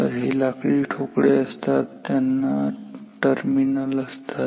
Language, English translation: Marathi, So, those are like wooden boxes with terminals